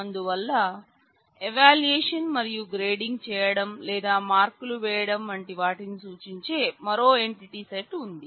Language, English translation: Telugu, So, there is another entity set which represents evaluation and how we are grading or putting marks and so, on